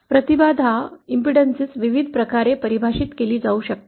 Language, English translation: Marathi, The impedance can be defined in various ways